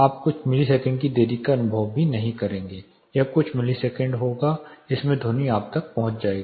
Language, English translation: Hindi, You will not even experience few seconds it will be few milliseconds the sound would reach you